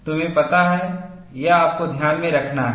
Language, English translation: Hindi, You know, this is what you have to keep in mind